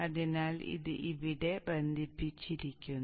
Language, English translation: Malayalam, So this gets connected here